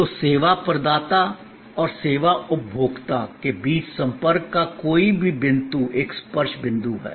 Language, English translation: Hindi, So, any point of the contact, between the service provider and the service consumer is a touch point